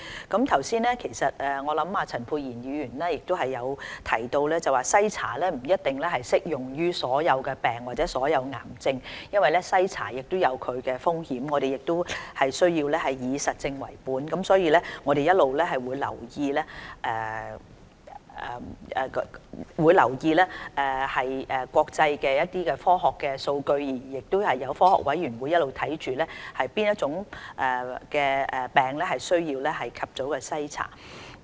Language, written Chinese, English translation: Cantonese, 剛才陳沛然議員亦提到，篩查不一定適用於所有疾病或癌症，因為篩查亦有其風險，我們需要以實證為本，並會一直留意國際間的科學數據，科學委員會也一直監察哪些疾病需要盡早進行篩查。, Just now Dr Pierre CHAN pointed out that screening may not necessarily be applicable to all kinds of diseases or cancers . As there are also risks associated with screening we need to adopt an evidence - based approach and will continue to pay attention to scientific data in the world . The Scientific Committees have all along been monitoring the diseases to identify those which call for early screening